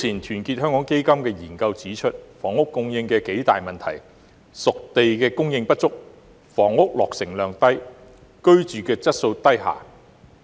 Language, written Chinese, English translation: Cantonese, 團結香港基金早前的研究，指出了房屋供應的數大問題，包括"熟地"供應不足、房屋落成量低、居住質素低下。, The study conducted by Our Hong Kong Foundation earlier on points out that Hong Kong is caught in a deadlock of triple lows namely low spade - ready land supply low housing completions and low quality of living